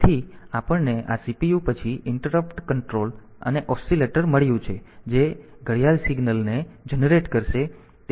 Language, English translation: Gujarati, So, in the we have got this CPU then the interrupt control and the oscillator that will be generating the clock signal